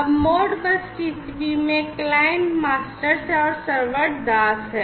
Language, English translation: Hindi, Now, in Modbus TCP the clients are basically the masters and the servers are the slaves